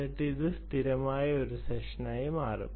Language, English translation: Malayalam, it becomes a persistent session